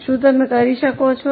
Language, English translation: Gujarati, I think you can